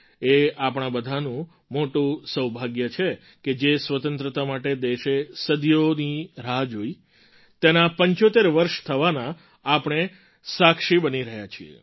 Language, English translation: Gujarati, We are indeed very fortunate that we are witnessing 75 years of Freedom; a freedom that the country waited for, for centuries